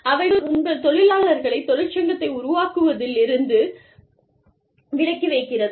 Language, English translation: Tamil, They could try to, lay your employees, away from, forming a union